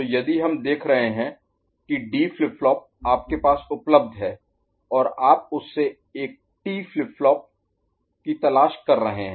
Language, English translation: Hindi, So, if we are looking at D flip flop is available with you ok, and you are looking for a T flip flop made out of it ok